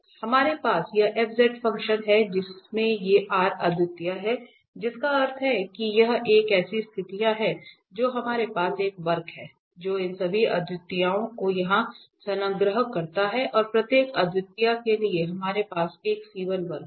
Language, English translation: Hindi, So, we have this f z function which has these singularities r singularities that means this is the situations that we have a curve which encloses all these singularities here and for each singularities enclosing we have a curve c 1